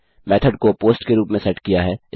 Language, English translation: Hindi, The method is set to POST